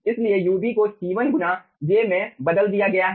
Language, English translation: Hindi, so ub has been replaced by c1 into j